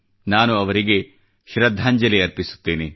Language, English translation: Kannada, Today, I pay homage to her too